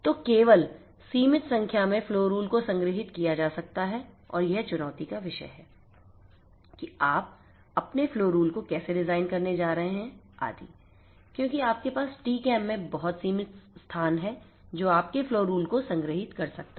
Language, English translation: Hindi, So, this only a limited number of flow rules can be stored and that makes the life challenging about how you are going to design your flow rules and so on, because you have very limited space in the TCAM which can store your flow rules